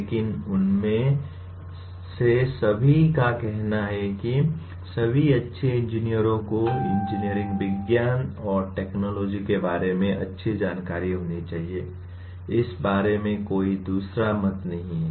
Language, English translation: Hindi, But all of them will start with say all good engineers must have sound knowledge of engineering sciences and technologies, on that there is absolutely no second opinion about it